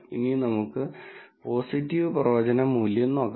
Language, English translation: Malayalam, Now, let us look at the positive predictive value